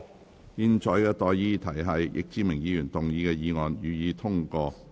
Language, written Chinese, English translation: Cantonese, 我現在向各位提出的待議議題是：易志明議員動議的議案，予以通過。, I now propose the question to you and that is That the motion moved by Mr Frankie YICK be passed